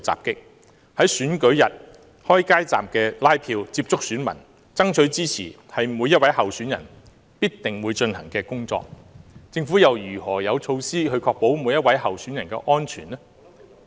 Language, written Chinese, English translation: Cantonese, 在選舉日開街站接觸選民爭取支持，是每一位候選人必定會進行的工作，政府又有何措施確保每一位候選人的安全呢？, On the day of the election candidates will canvass support at street booths something every candidate will do and they will get in touch with voters . What measures does the Government have to ensure the safety of all candidates?